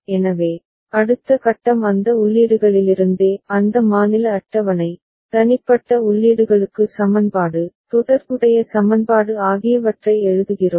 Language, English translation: Tamil, So, next step is from those inputs that state table, we are writing the equation, corresponding equation, for individual inputs